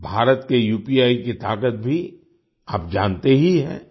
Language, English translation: Hindi, You also know the power of India's UPI